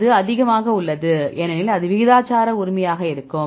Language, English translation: Tamil, That is high because that will be proportional right